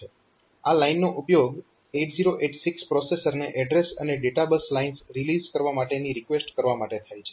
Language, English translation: Gujarati, So, this line is used to request the processor 8086 to release the address and data bus lines